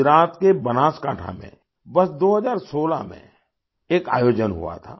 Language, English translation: Hindi, An event was organized in the year 2016 in Banaskantha, Gujarat